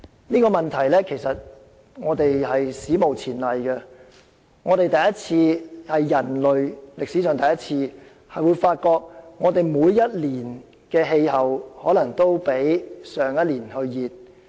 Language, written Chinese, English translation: Cantonese, 這個問題是史無前例的，是人類歷史上首次發現每一年的氣溫都較去年為高。, This problem is unprecedented and this is the first time in human history that a temperature rise is recorded in every year